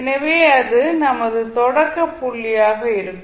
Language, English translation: Tamil, So, that would be our starting point